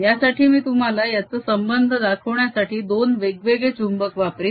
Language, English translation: Marathi, for this i'll use two different magnets to show you dependence